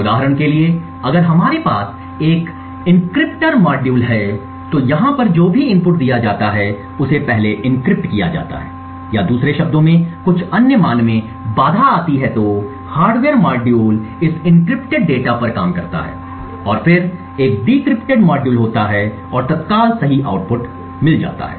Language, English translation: Hindi, So for example if we have an encryptor module over here any input which is given first get encrypted or in other words gets obfuscates to some other value then the hardware module works on this encrypted data and then there is a decrypted module and obtained a current correct output